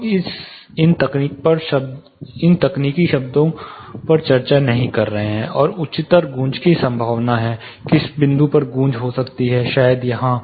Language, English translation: Hindi, We are not discussing these technical terms and where are the probability of echo higher, at which point echo might happen, maybe here